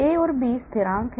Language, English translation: Hindi, A and B are constants